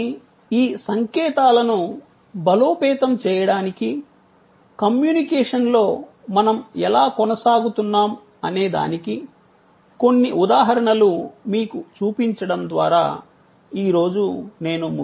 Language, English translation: Telugu, But, today I will be conclude by showing you some examples that how in the communication we continue to reinforce these signals